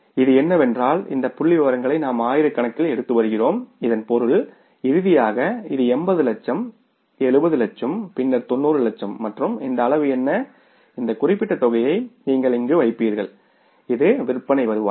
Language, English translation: Tamil, Because we are taking the figures in thousands, so it means finally it is the 70 lakhs, 80 lakhs and then the 90 lakhs and what this amount is this particular you will put here is the sales revenue